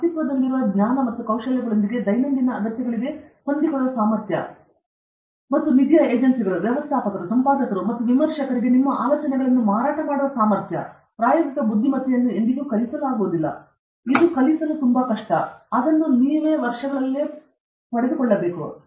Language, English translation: Kannada, Ability to adapt to everyday needs with existing knowledge and skills, and ability to sell your ideas to funding agencies, managers, editors, and reviewers, practical intelligence is never taught, it’s also extremely difficult to teach; you have to acquire it over the years